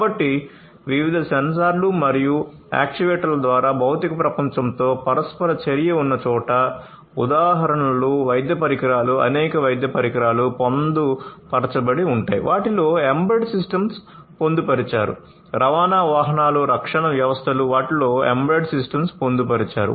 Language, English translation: Telugu, So, where there is interaction with the physical world, through different sensors and actuators examples of it would be medical instruments, many medical instruments are embedded you know they have embedded systems in them, transportation vehicles, defense systems many of these defense systems have embedded systems in them that